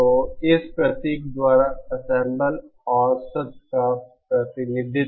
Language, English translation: Hindi, So the representation of ensemble average by this symbol